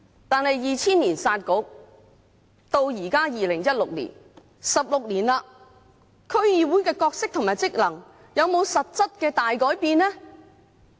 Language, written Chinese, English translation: Cantonese, 但是 ，2000 年"殺局"到現在2016年 ，16 年了，區議會的角色和職能有沒有實質大改變呢？, However 16 years has passed since the Municipal Councils were scrapped in 2000 and today in 2016 have the role and functions of DCs undergone any substantial change?